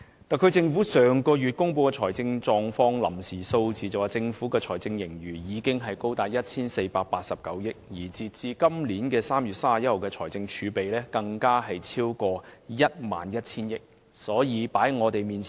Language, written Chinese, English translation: Cantonese, 特區政府上個月公布的財政狀況臨時數字顯示，政府的財政盈餘已高達 1,489 億元，截至2018年3月31日的財政儲備，更超逾 11,000 億元。, As shown in the provisional figures on its financial position released by the Hong Kong SAR Government last month a consolidated surplus of 148.9 billion was recorded for 2017 - 2018 . Besides as at 31 March 2018 the fiscal reserves had exceeded 1,100 billion